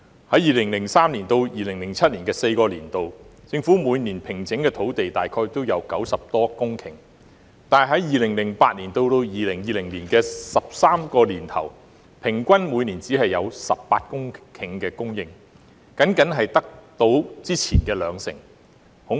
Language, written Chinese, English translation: Cantonese, 在2003年至2007年4個年度，政府每年平整的土地大概有90多公頃，但在2008年至2020年的13個年頭，平均每年只有18公頃供應，僅僅只及先前的兩成。, Within four years from 2003 to 2007 the Governments land formation each year was more than 90 hectares; but within 13 years from 2008 to 2020 the average land formation each year was only 18 hectares representing only 20 % of the previous figure